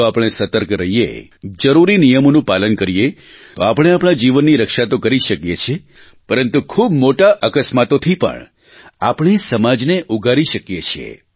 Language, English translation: Gujarati, If we stay alert, abide by the prescribed rules & regulations, we shall not only be able to save our own lives but we can prevent catastrophes harming society